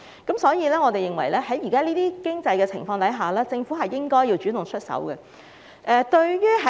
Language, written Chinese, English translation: Cantonese, 因此，我們認為在現時的經濟情況下，政府亦應該主動出手。, Therefore we believe the Government should take proactive actions under the current economic condition